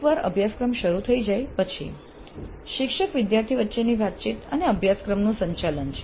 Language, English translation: Gujarati, Then once the course commences, teacher student interaction, course management